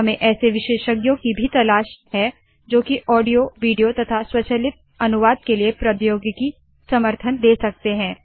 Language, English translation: Hindi, We are also looking for experts who can give technology support for audio, video, automatic translation, etc